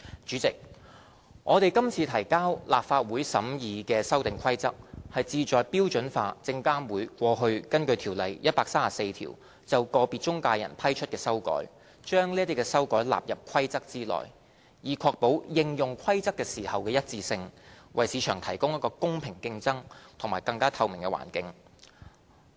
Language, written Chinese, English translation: Cantonese, 主席，我們今次提交立法會審議的《修訂規則》，旨在標準化證監會過去根據《條例》第134條就個別中介人批出的修改，把這些修改納入《規則》中，以確保應用《規則》時的一致性，為市場提供一個公平競爭及更加透明的環境。, President the Amendment Rules that we have tabled for the Legislative Councils scrutiny is to standardize the modifications granted by SFC to individual intermediaries under section 134 of the Ordinance over the years by incorporated such modifications into the PI Rules . The purpose is to ensure consistency in the application of the PI Rules and provide a level playing field for and increase transparency of the market